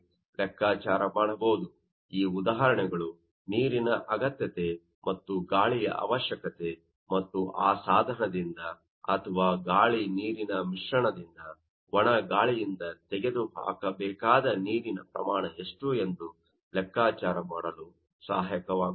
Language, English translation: Kannada, So, these examples will be helpful to you know calculate further that requirement of water requirement of you know that air and also what to be the amount of water to be removed from that you know, device or from that you know that air water mixture by the dry air